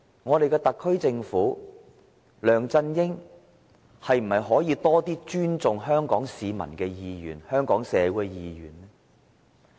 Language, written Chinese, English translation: Cantonese, 我們的特區政府和梁振英可否多些尊重香港市民、香港社會的意願呢？, Will the SAR Government and LEUNG Chun - ying please show more respect to the wishes of the people and the community of Hong Kong?